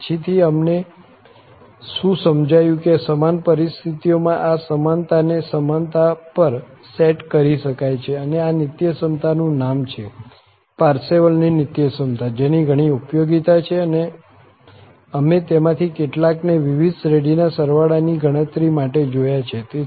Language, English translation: Gujarati, The later on, what we realized that this equality under the same conditions can be set to equality and the name of this identity is the Parseval's Identity, which has several applications some of them we have seen for computing the sum of various series